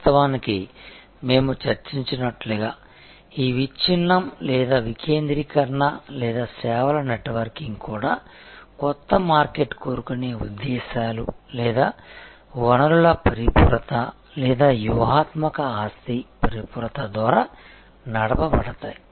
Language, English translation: Telugu, And of course, as we discussed there were this fragmentation or decentralization or networking of services were also driven by new market seeking motives or resource complementariness or strategic asset complementariness